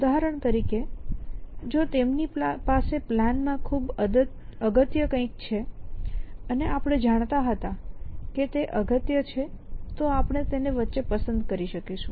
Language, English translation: Gujarati, For example, if they have something with as very practical to the plan and we knew it was practical then we could select it in between